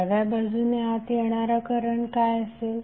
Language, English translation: Marathi, So what would be the current coming inside from left